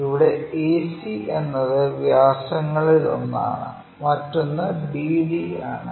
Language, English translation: Malayalam, So, here a circle where ac is one of the diameter and bd is the other diameter